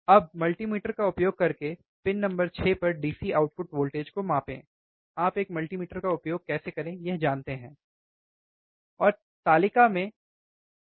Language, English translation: Hindi, Now, measure the DC output voltage at pin 6 this is pin 6 we know, right using multimeter you can use multimeter, you know, how to use multimeter now and record the result in table